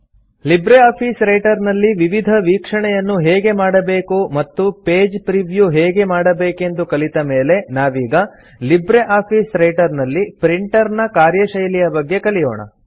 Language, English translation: Kannada, After learning how to view documents in LibreOffice Writer as well as Page Preview, we will now learn how a Printer functions in LibreOffice Writer